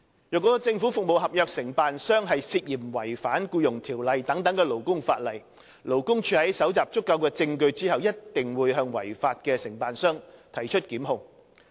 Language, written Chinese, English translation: Cantonese, 若政府服務合約承辦商涉嫌違反《僱傭條例》等勞工法例，勞工處在搜集足夠證據後，必定會向違法的承辦商提出檢控。, If a contractor of government service contracts is suspected of violating labour legislation such as the Employment Ordinance LD will definitely institute prosecutions against the law - breaking contractor after gathering sufficient evidence